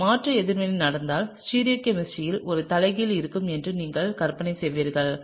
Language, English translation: Tamil, If a substitution reaction happens and you would imagine that there is going to be an inversion in stereochemistry